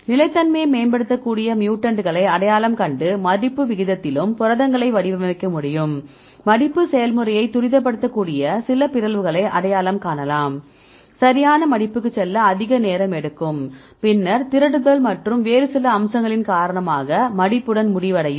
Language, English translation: Tamil, So, we are identify the mutants which can enhance the stability and we can design proteins likewise in the folding rate, we can identify a some mutations which can accelerate the folding process, in this case, we will go to the proper folding because if it takes more time then this way end up with this missfolding, right, due to aggregation right and some other aspect